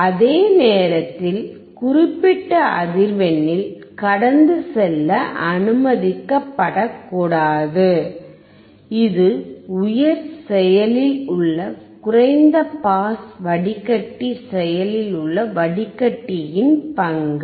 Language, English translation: Tamil, At the same time at certain frequency to be not allowed to pass and this is the role of the high active filter low pass active filter